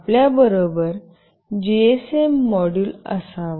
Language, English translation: Marathi, You should have a GSM module with you